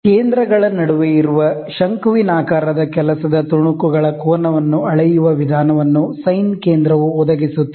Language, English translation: Kannada, A sine center provides a means of measuring angle of conical work pieces that are held between centers